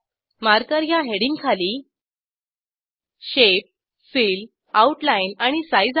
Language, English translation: Marathi, Under Marker heading we have Shape, Fill, Outline and Size